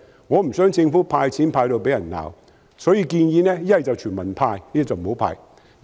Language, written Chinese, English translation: Cantonese, 我不想政府因"派錢"而被罵，所以才建議要麼全民"派錢"，否則便不要"派錢"。, Since I do not want to see the Government being berated for handing out money I proposed that it should either hand out cash to all people or no cash handout should be offered